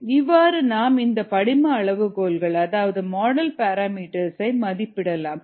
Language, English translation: Tamil, this is the way in which these model parameters are estimated